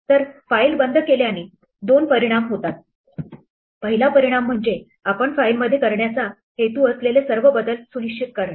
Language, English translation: Marathi, So, closing the file has two effects; the first effect is to make sure that all changes that we intended to make to the file